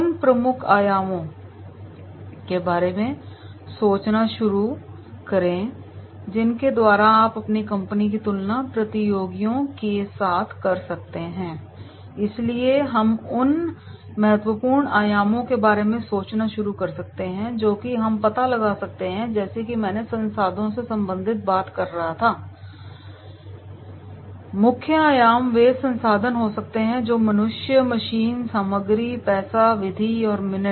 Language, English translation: Hindi, Start thinking of the key dimensions by which you can compare your company with competitors, so therefore we can start thinking of the key dimensions of what we can find out like I was talking about related to resources, key dimensions may be the resources that is man, machine, material, money, method and minutes